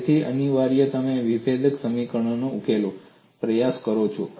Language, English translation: Gujarati, So, essentially you attempt to solve differential equations